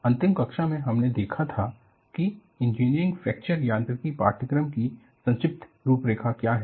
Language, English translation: Hindi, In the last class, we had seen, what is the brief outline on the course on, Engineering Fracture Mechanics